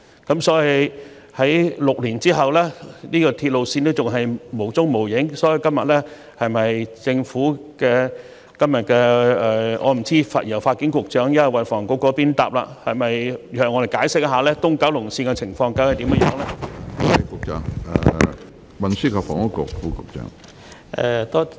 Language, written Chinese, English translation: Cantonese, 可是，在6年後，這條鐵路線仍然不見蹤影，我不知道今天是由發展局抑或運房局答覆，但可否向我們解釋東九龍綫的情況呢？, However this railway line is still nowhere in sight after six years . I do not know whether the Development Bureau or the Transport and Housing Bureau THB will answer my question but can we have an explanation on the situation of EKL?